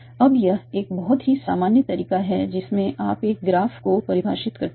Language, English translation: Hindi, Now this is a very general way in which you define a graph